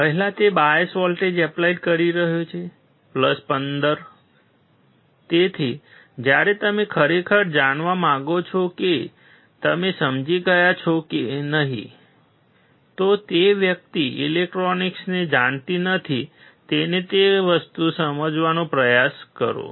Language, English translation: Gujarati, First he is applying the bias voltages + 15 So, when you really want to know whether you have understood or not, try to explain the same thing to a person who does not know electronics